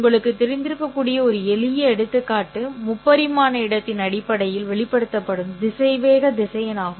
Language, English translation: Tamil, A simple example that might be familiar to you would be again the velocity vector expressed in terms of the three dimensional space